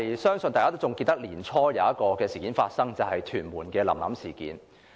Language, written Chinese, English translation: Cantonese, 相信大家也記得年初在屯門發生的"臨臨事件"。, I am sure we all remember the incident of the little girl Lam Lam which happened in Tuen Mun in the beginning of this year